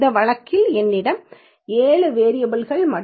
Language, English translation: Tamil, In this case we have 7 variables and around 91 entries